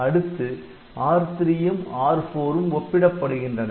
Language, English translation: Tamil, So, we compare R3 with R1